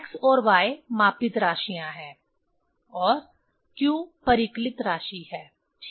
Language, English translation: Hindi, x and y are the measured quantity, and q is the calculated quantity ok